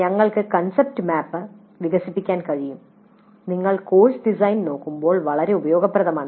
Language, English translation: Malayalam, Then we can develop the concept map quite useful when you are looking at the course design